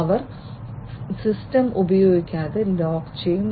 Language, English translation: Malayalam, So, they will lock the system from being used